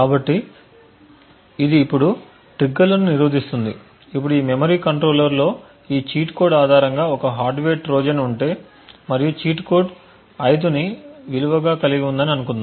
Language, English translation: Telugu, So, this would prevent the triggers now let us say that if in this memory controller there is a hardware Trojan which is based on this cheat code and let us assume that the cheat code has a value of let us say 5